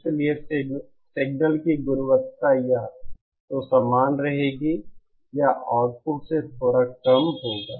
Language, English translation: Hindi, Hence the signal quality will either remain the same or will be a little bit degraded than the output